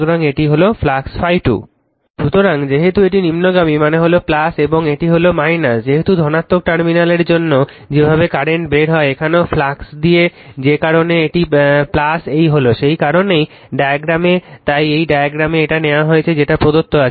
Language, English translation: Bengali, So, as it is downward means this is plus and this is minus, as if the way current comes out for the positive terminal here also the flux direction that is why this is plus this is minus that is why, that is why in the diagram that is why in this diagram, you are taken this one everything I have given to you